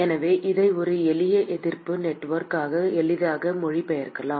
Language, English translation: Tamil, So, therefore we can easily translate this into a simple resistance network